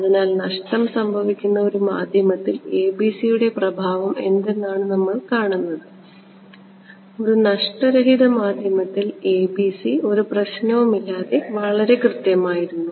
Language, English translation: Malayalam, So, we want to see what is the impact of the ABC in a lossy medium we saw that in a loss free medium ABC was perfect no problem with ABC ok